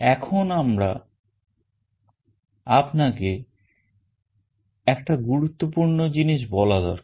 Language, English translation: Bengali, Now I should also tell you one important thing